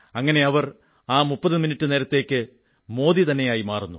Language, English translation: Malayalam, In this way for those 30 minutes they become Narendra Modi